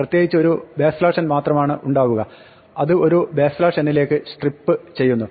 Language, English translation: Malayalam, In particular there is only a backslash n and it will strip to a backslash n